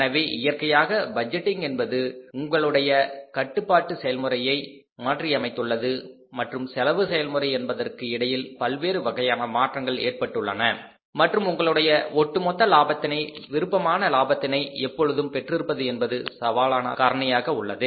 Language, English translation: Tamil, So, naturally your budgeting has changed, your controlling process has changed and in between your costing process has changed and say overall the profitability maintaining the desired profitability has become a challenging factor